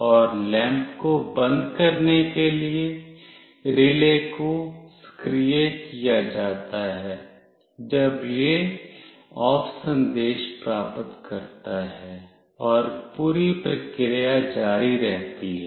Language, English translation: Hindi, And the relay is activated to turn off the lamp, when it receives the OFF message and the whole process continues